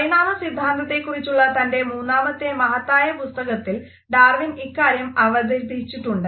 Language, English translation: Malayalam, This idea was presented by Darwin in his third major work of evolutionary theory